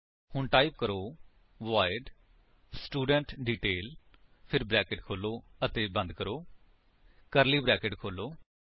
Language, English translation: Punjabi, So let me type, void studentDetail then opening and closing brackets, curly brackets open